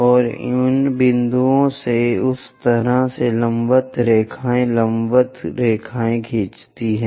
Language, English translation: Hindi, And from those points draw vertical lines perpendicular lines in that way